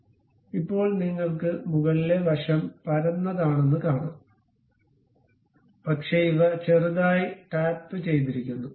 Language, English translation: Malayalam, So, now you can see the top side is flat one, but these ones are slightly tapered